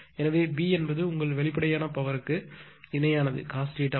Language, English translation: Tamil, So, P is equal to your apparent power into cos theta 1